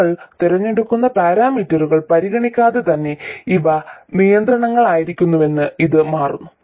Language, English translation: Malayalam, Regardless of the parameter set you choose, it turns out these will be the constraints